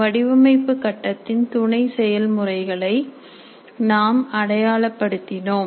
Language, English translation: Tamil, We identified the sub processes of design phase